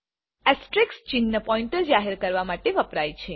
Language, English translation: Gujarati, Asterisk sign is used to declare a pointer